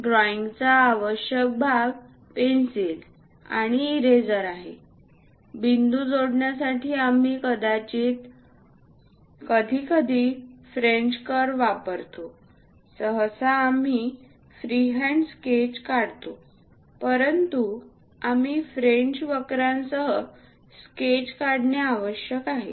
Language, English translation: Marathi, The essential part of drawing is pencils and eraser; rarely, we use French curves to connect points; usually, we go with freehand sketches, but required we go with French curves as well